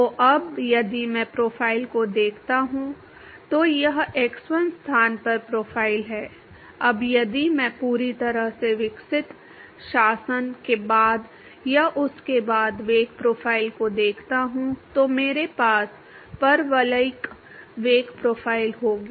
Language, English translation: Hindi, So, now, if I look at the profile, this is the profile at x1 location, now if I look at the velocity profile after or at the fully developed regime, what I will have is the parabolic velocity profile